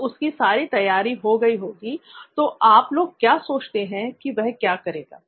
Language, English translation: Hindi, So once he is done with preparing everything what do you guys think he would be doing first after